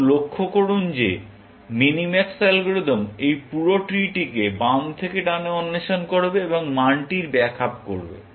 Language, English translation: Bengali, Now, observe that the minimax algorithm will explore this entire tree from left to right, and back up the value